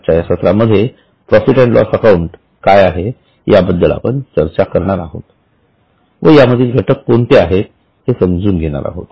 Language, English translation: Marathi, So today in the session we will discuss what is P&L account and try to understand what are the elements of P&L account